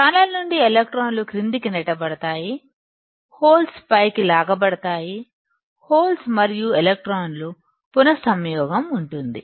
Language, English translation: Telugu, My electrons from the channel will be pushed down, the holes will be pulled up and there will be recombination of holes and electrons and ultimately